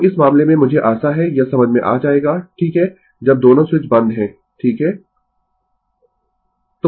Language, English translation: Hindi, So, in this case I hope you will understand this right when both switches are closed right